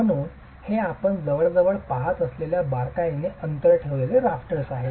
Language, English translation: Marathi, So, these are closely spaced rafters that you would normally see